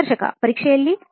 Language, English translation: Kannada, In the exam